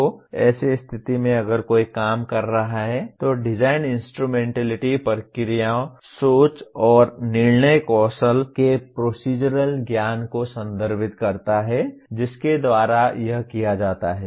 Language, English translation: Hindi, So in such situation if one is operating, the design instrumentality refers to procedural knowledge including the procedures, way of thinking and judgmental skills by which it is done